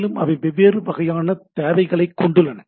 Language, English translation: Tamil, So, we require different type of things